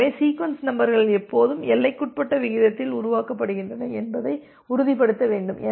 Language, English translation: Tamil, So, we need to ensure that the sequence numbers are always generated at a bounded rate